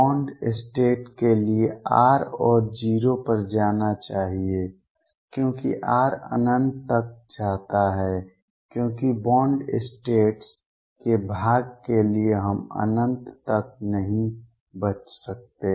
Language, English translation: Hindi, For bound state R should go to 0 as r goes to infinity because for bound states part we cannot escape to infinity